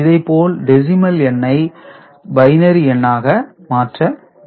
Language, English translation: Tamil, So, this is the way decimal to binary conversion is done ok